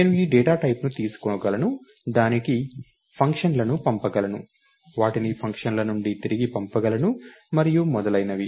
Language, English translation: Telugu, I can take this data type, pass it on to functions, pass them back from functions and so on